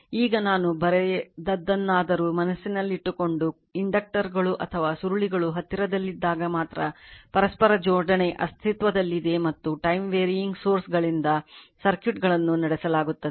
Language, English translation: Kannada, Now, now something I have written keep in mind that mutual coupling only exists when the inductors or coils are in close proximity and the circuits are driven by time varying sources